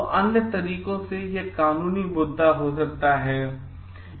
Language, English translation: Hindi, So, other ways it may be become a legal issue